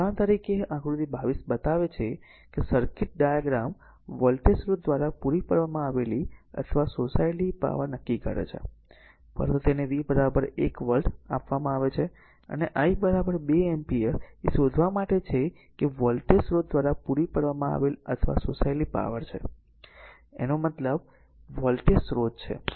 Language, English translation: Gujarati, So, for example, figure 22 shows a circuit diagram determine the power supplied or absorbed by the voltage source, but first one it is given V is equal to 1 volt and I is equal to 2 ampere you have to find out that power supplied or absorbed by the voltage source; that means, this voltage source right